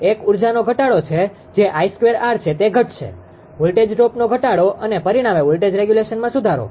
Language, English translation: Gujarati, One is reduce energy that is I square r loss it will reduce; reduce voltage drop and consequently improve voltage regulation